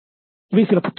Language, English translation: Tamil, So, this will be some of the books